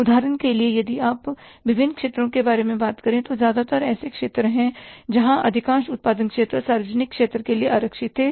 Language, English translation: Hindi, For example, if you talk about the different sectors, most of the production sectors were reserved for the public sector